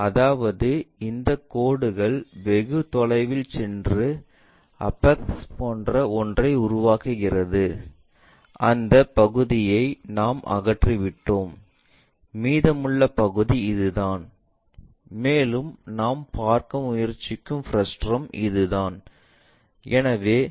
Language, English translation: Tamil, That means, these lines go intersect far away and makes something like apex and that part we have removed it, and the leftover part is this, and that frustum what we are trying to look at